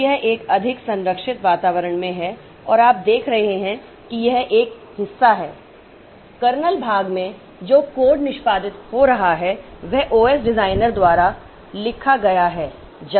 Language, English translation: Hindi, So, this is in a more protected environment and you see at this part in the kernel part the code that it is the process is executing is written by the OS designer